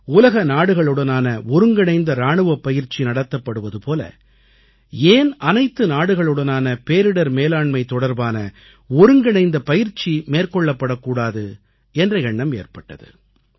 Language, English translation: Tamil, Recently we have made an attempt to have joint exercise for disaster management between countries on the lines of joint military exercise involving different countries of the world